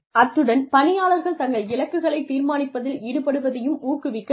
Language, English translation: Tamil, And, one should also encourage participation, from the employees in deciding their goals